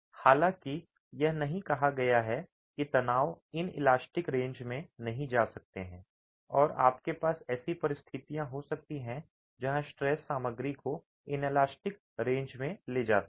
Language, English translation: Hindi, However, it's not said that the stresses cannot go into the elastic range and you might have situations where the stresses go into the stresses take the system, take the material into an elastic range